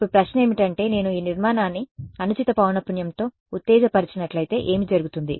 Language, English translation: Telugu, Now the question lies what should I if I excite this structure with the wrong frequency what will happen